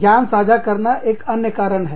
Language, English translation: Hindi, Knowledge sharing, is another one